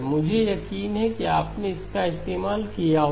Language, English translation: Hindi, I am sure you would have used it